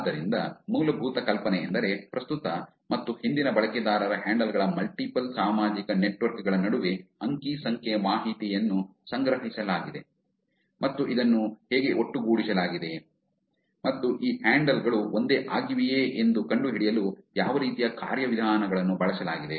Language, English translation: Kannada, So, essentially the idea is that data was collected between multiple social networks of the current and the past user handles and how this was put together and what kind of mechanisms was used to find out whether these handles are same